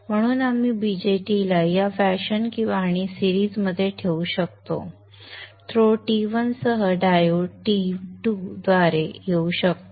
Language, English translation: Marathi, So we can place the BJT in this fashion in series there with the throw T1 and the diode can come along through T2